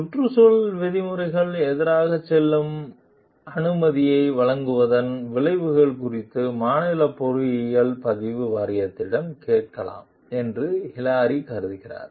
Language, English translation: Tamil, Hilary considers whether to ask the state engineering registration board about the consequences of issuing a permit that goes against environmental regulations